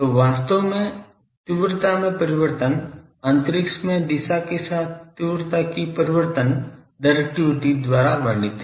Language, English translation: Hindi, So, actually ah the variation of the intensity , the variation of the intensity with direction in space is described by a Firectivity